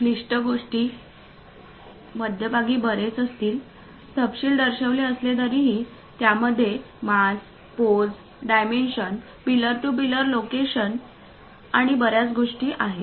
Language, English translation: Marathi, The complicated thing though having many more inner details shown at the middle; it contains mass, pose, the dimensions, pillar to pillar locations, and many things